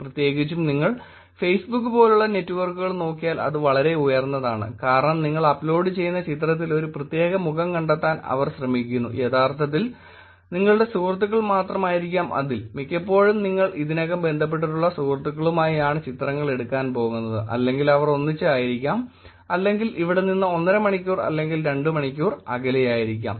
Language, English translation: Malayalam, In particular if you look at networks like Facebook it is actually pretty high it is because they search space that they have to search for a particular face in the picture that you are uploading is actually only your friends, majority of the times you're going to be taking pictures with the friends to whom you are already are connected with or probably they are in a one, and one and half hour or two hours away from here